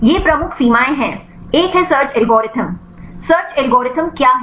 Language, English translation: Hindi, These are the major limitations one is the search algorithm right what is the search algorithm